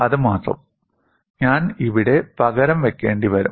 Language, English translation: Malayalam, Only that, I will have to substitute it here